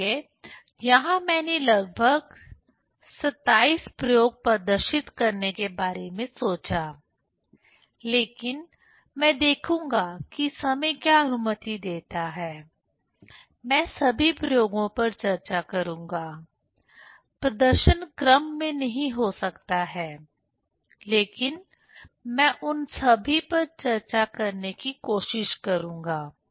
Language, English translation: Hindi, So, here I thought of demonstrating almost 27 experiment; but I will see if time permits I will discuss all experiments; the demonstration may not be in sequence, but I will try to discuss all of them